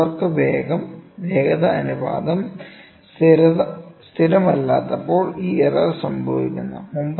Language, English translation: Malayalam, This error occurs when the tool work velocity ratio is not constant